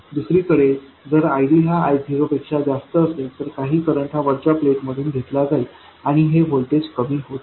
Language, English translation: Marathi, If ID is smaller than I 0, some current will be flowing into this capacitor and this voltage will go on increasing